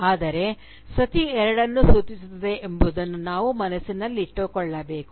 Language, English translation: Kannada, But, we should bear in mind that Sati refers to both